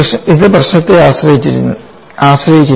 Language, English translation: Malayalam, It is problem depended